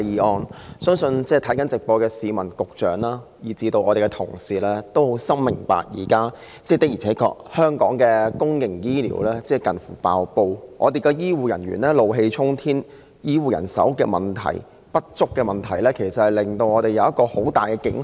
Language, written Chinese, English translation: Cantonese, 我相信正在觀看電視直播的市民、局長及議員皆深明，香港現時的公營醫療服務確實瀕臨崩潰，醫護人員怒氣沖天，醫護人手不足的問題為我們敲起很大警號。, I believe people who are watching our live television broadcast the Secretary and Members all understand very well that Hong Kongs existing public healthcare services are honestly on the brink of collapse healthcare personnel are outraged and the shortage of healthcare manpower has sounded a deafening alarm to us